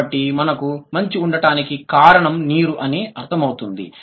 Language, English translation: Telugu, So, water is the reason why we have ice